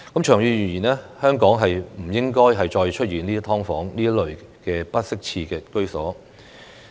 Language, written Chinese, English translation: Cantonese, 長遠而言，香港不應該再出現"劏房"這類不適切居所。, In the long run inappropriate housing such as SDUs should no longer exist in Hong Kong